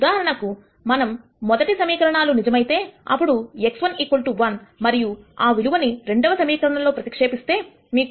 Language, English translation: Telugu, For example, if we were to take the first equation is true then x 1 equal to 1 and if we substitute that value into the second equation you will get 2 equal to minus 0